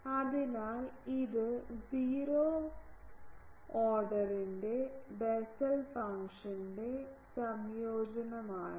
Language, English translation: Malayalam, So, it is an integration of Bessel function of 0 order